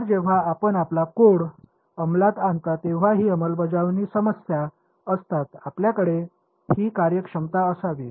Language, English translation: Marathi, So, these are implementation issues when you implement your code you should have this functionality